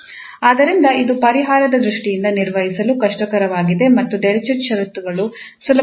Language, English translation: Kannada, So this is the difficult one to handle from the solution point of view and the Dirichlet conditions are the easiest one